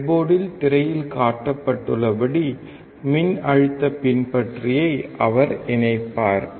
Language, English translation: Tamil, He will connect the voltage follower as shown on the screen on the breadboard